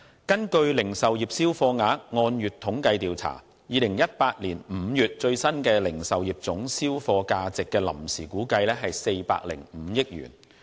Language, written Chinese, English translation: Cantonese, 根據《零售業銷貨額按月統計調查報告》，2018 年5月的最新零售業總銷貨價值的臨時估計為405億元。, According to the Report on Monthly Survey of Retail Sales the value of total retail sales in May 2018 was provisionally estimated at 40.5 billion